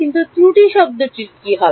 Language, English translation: Bengali, But there what happens to the error term